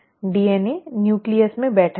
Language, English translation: Hindi, The DNA is sitting in the nucleus